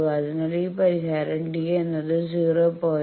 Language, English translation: Malayalam, So, here in this solution that d is coming to be 0